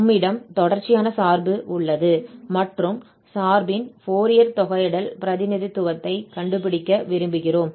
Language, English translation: Tamil, So, we have this piecewise continuous function and we want to find the Fourier integral representation of this function